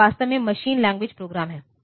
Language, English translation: Hindi, So, this is actually the machine language program